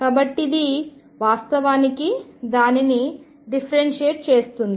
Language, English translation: Telugu, So, it actually differentiates it